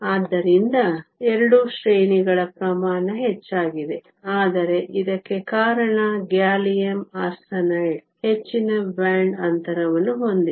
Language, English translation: Kannada, So, 2 orders of magnitude higher, but this is because gallium arsenide has a higher band gap